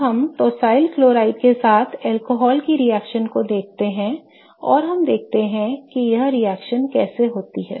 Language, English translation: Hindi, Now, let us look at the reaction of an alcohol with tawcyl chloride let us look at how the reaction proceeds